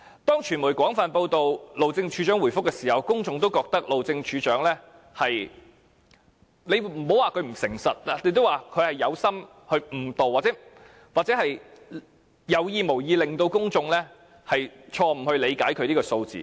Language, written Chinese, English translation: Cantonese, 當傳媒廣泛報道，路政署署長答覆時，公眾也認為路政署署長有點不誠實，不知是否蓄意誤導，或有意無意令公眾錯誤理解他所說的數字。, When the media covered this matter extensively and the Director of Highways gave a reply the public also felt that the Director of Highways was somewhat dishonest for people were not sure whether he had purposely misled them or just skillfully let them misunderstand the figure he mentioned